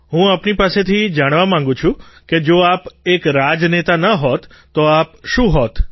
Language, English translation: Gujarati, I want to know from you;had you not been a politician, what would you have been